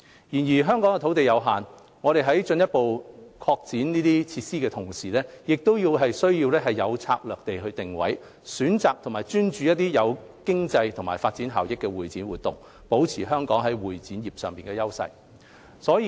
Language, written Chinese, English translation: Cantonese, 然而，香港土地有限，我們在進一步擴展設施的同時，亦更需要有策略地定位，選擇和專注一些具經濟和發展效益的會展活動，保持香港在會展業上的優勢。, Nevertheless with limited land in Hong Kong we need to in parallel with expanding our facilities define our strategic position to focus on CE events which bring economic and development benefits to Hong Kong so as to maintain our competitive edge in the CE industry